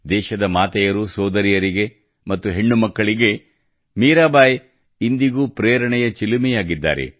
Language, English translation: Kannada, Mirabai is still a source of inspiration for the mothers, sisters and daughters of the country